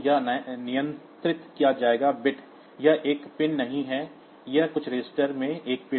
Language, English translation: Hindi, So, this will be controlled bit it is not a pin, it is a bit in the some register